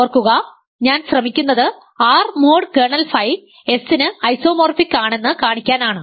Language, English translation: Malayalam, So, remember I am trying to show that R mod kernel of phi is isomorphic to S